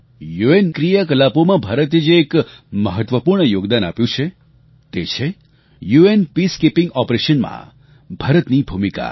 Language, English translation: Gujarati, India's most important contribution under the UN umbrella is its role in UN Peacekeeping Operations